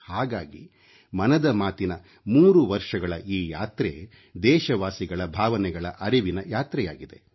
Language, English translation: Kannada, And, this is why the threeyear journey of Mann Ki Baat is in fact a journey of our countrymen, their emotions and their feelings